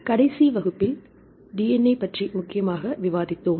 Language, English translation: Tamil, So, in the last class we discussed mainly about the DNA